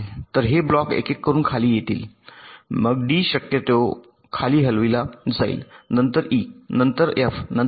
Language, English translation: Marathi, so one by one these blocks will come down, then the d, possibly d, will be moved down, then e, then f, then g